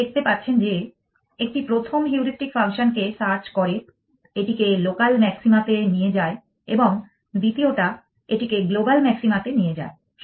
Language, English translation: Bengali, You can see that one search the first heuristic function takes it to local maxima the second one takes it to global maxima